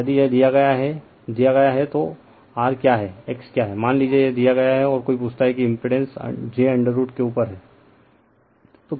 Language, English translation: Hindi, So, if it is given then what is r what is x suppose this is given and somebody ask you that the impedance is root over j